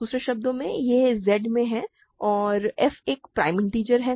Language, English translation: Hindi, In other words, it is in Z and f is a prime integer, right